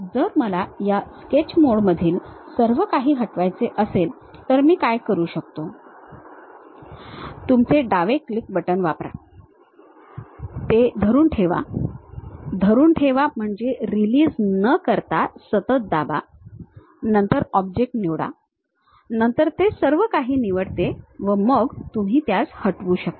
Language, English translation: Marathi, If I want to delete everything in this Sketch mode what I can do is, use your left click button, hold it; hold it mean press continuously without releasing then select the object, then it select everything, then you can delete